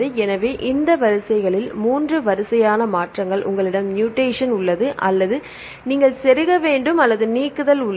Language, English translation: Tamil, So, these are the 3 kinds of changes in the sequences, either you have mutation or you have the insertion or you have the deletion